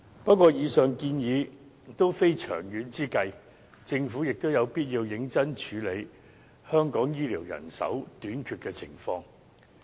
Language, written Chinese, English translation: Cantonese, 不過，以上建議也非長遠之計，政府有必要認真處理香港醫療人手短缺的情況。, Nevertheless the suggestions raised just now are not long - term solutions . It is necessary for the Government to seriously deal with the shortage of health care personnel in Hong Kong